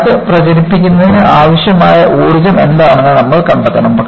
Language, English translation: Malayalam, You would essentially, want to find out, what is the energy required for crack to propagate